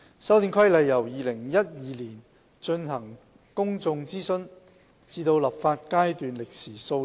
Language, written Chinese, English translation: Cantonese, 《修訂規例》由2012年進行公眾諮詢至立法階段，歷時數年。, There was a lapse of a few years between the public consultation in 2012 and the enactment of the Amendment Regulation